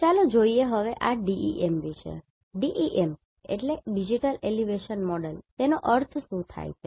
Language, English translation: Gujarati, So, here let us see what exactly this digital elevation model mean